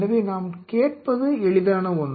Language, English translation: Tamil, So, what we are asking is simple